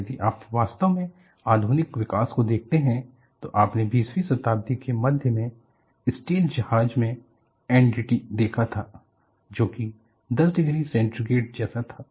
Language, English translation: Hindi, And if you really look at the modern development, you had seen the ship steels in the middle of 20th century and the NDT as something like 10 degree centigrade